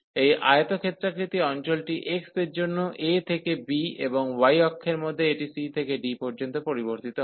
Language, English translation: Bengali, So, this rectangular region is from a to b for x and in the in the y axis, it varies from c to d